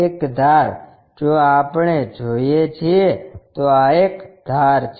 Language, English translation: Gujarati, One of the edges, if we are looking this is one of the edge